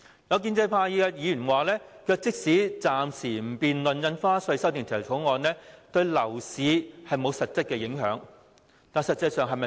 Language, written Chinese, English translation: Cantonese, 有建制派議員表示，即使暫時不討論《條例草案》，對樓市也沒有實質影響，但事實並非如此。, Some pro - establishment Members suggested that there would be no substantive impact on the property market even if the debate on the Bill was suspended but this is not the case